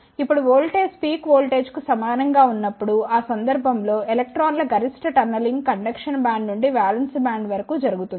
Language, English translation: Telugu, Now when the voltage is equivalent to the peak voltage, in that case the maximum tunneling of electrons can take place from the conduction band to the valence band